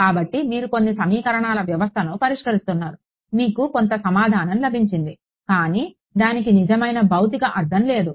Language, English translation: Telugu, So, you are you are solving some system of equations you are getting some solution it has no real physical meaning